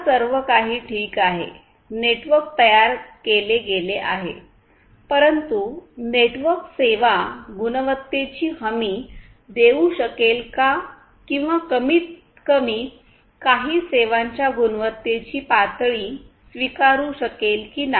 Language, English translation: Marathi, Now everything is fine network has been built, but then whether the network is able to offer the quality of service guarantees or at least some acceptable levels of quality of service